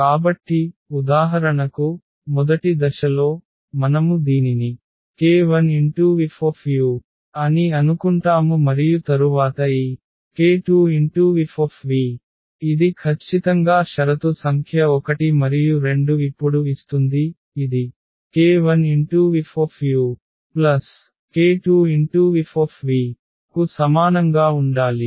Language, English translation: Telugu, So, in the first step for example, we will think it as k 1 u and then plus this k 2 v, this is exactly the condition number 1 and the condition number 2 gives now that this should be equal to k 1 F u and plus this k 2 F v